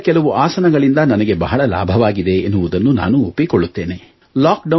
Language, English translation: Kannada, I do concede however, that some yogaasanaas have greatly benefited me